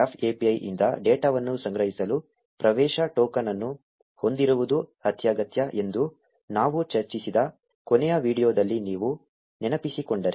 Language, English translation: Kannada, If you recall in the last video we discussed that it is essential to have an access token in order to collect data from the graph API